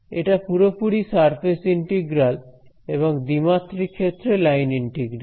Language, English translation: Bengali, It is purely a surface integral or in the 2D case a line integral